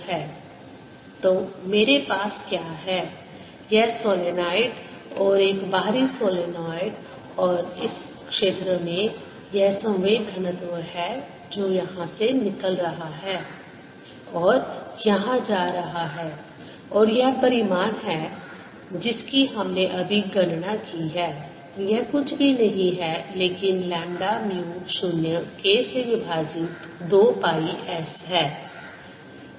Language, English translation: Hindi, so what i have is these: the solenoid and an outer solenoid, and in this region there is this momentum density which is coming out here and going in here and its magnitude is, we have just calculated, is nothing but lambda: mu zero k over two pi s